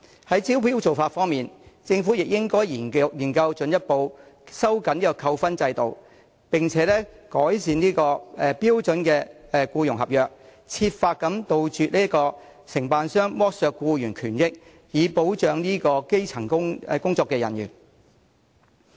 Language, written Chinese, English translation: Cantonese, 在招標的做法方面，政府也應研究進一步收緊扣分制度，並改善標準僱傭合約，設法杜絕承辦商剝削僱員權益，以保障基層員工。, With regard to the approach of inviting tenders the Government should also study the possibility of further tightening the demerit point system and improving the Standard Employment Contract to strive to eradicate exploitation of employees rights and benefits by contractors so as to protect grass - roots workers